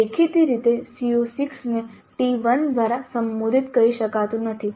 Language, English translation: Gujarati, Evidently CO6 cannot be addressed by T1